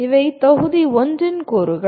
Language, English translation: Tamil, These are the elements of module 1